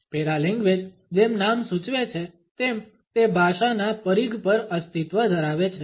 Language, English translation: Gujarati, Paralanguage as the name suggest, it exist on the periphery of language